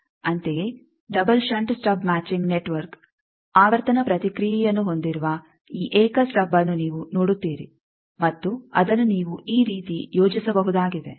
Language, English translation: Kannada, Similarly, double shunt stub matching network, you see this single stub that has a frequency response and you can plot it like this